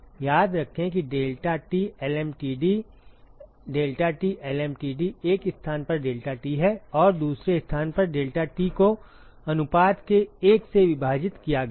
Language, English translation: Hindi, Remember the expression for deltaT lmtd deltaT lmtd is deltaT at one location minus deltaT at the second location divided by ln of the ratio